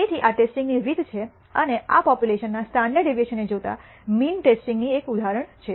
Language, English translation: Gujarati, So, this is the way of testing and this is an example of testing for the mean given the standard deviation of the population